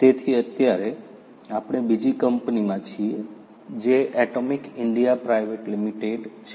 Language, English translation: Gujarati, So, right now we are in another company which is the Atomic India Private Limited